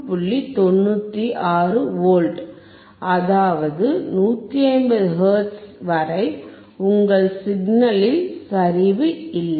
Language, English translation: Tamil, 96 volts; which means, there is no deterioration in your signal until 150 hertz